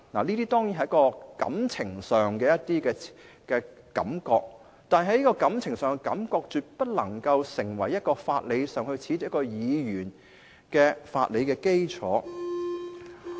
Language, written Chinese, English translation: Cantonese, 這些當然是感情上的感覺，但這種感情上的感覺絕不能成為褫奪議員資格的法理基礎。, These feelings are of course sentimental and absolutely cannot provide a legal basis for disqualifying a Member from office